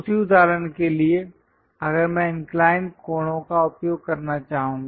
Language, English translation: Hindi, For the same example, if I would like to use inclined angles